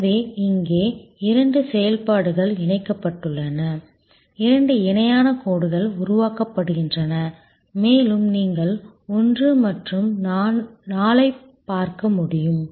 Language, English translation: Tamil, So, let us see here two functions are combined, two parallel lines are created and as you can see 1 and 4